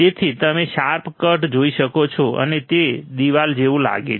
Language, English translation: Gujarati, So, you can see a sharp cut and it looks like a wall